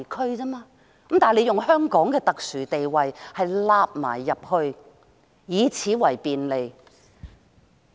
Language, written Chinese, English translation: Cantonese, 不過，他們卻只是利用香港的特殊地位，以此為便利。, But they merely want to exploit Hong Kongs special position and take advantage of it